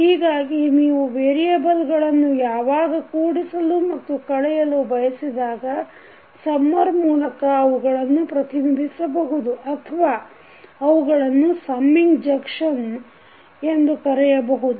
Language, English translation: Kannada, So, when you want to add or subtract the variables you represent them by a summer or you can also call it as summing junction